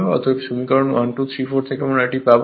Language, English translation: Bengali, Therefore, from equation 1, 2, 3, 4 right